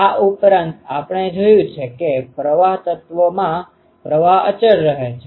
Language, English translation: Gujarati, Also, ah we have seen that in the current element the current is constant throughout